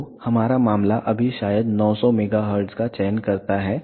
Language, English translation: Hindi, So, our case just maybe select 900 megahertz